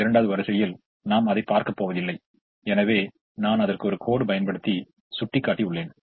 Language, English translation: Tamil, the second row we are not going to look at it, therefore i have shown it using a dash